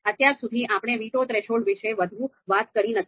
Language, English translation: Gujarati, So till now, you know we haven’t talked about veto threshold much